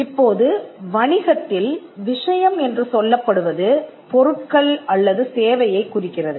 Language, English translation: Tamil, Now, the thing here in business refers to goods or a service